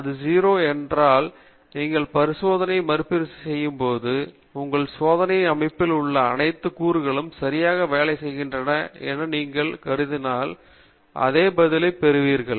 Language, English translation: Tamil, If it is 0, then when you repeat the experiment, and assuming that all the components in your experimental setup are working perfectly, you will get the same response